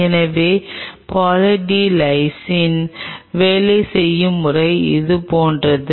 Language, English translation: Tamil, So, the way say Poly D Lysine works it is something like this